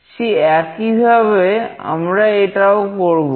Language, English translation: Bengali, The same way we will be doing that